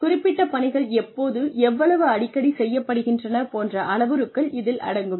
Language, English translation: Tamil, Which may include parameters like, when and how often, specific tasks are performed